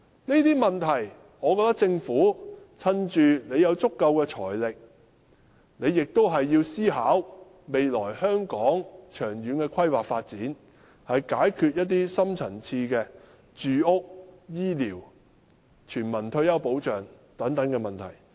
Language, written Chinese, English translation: Cantonese, 我認為政府在有足夠的財力時，應思考香港未來的長遠規劃發展，解決住屋、醫療、全民退休保障等深層次問題。, I think the Government should give thoughts to the long - term planning and development of Hong Kong when it has sufficient financial resources so as to solve such deep - rooted problems as housing health care and universal retirement protection